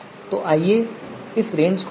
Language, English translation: Hindi, So let us look at the range